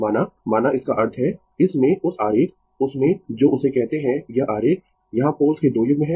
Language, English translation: Hindi, Suppose, suppose that means, in that in that diagram your what you call in that your what you call that this diagram, here you have 2 pairs of poles